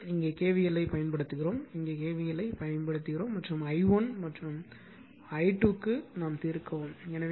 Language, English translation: Tamil, So, here you apply k v l here to apply k v l and solve it for i1 and i 2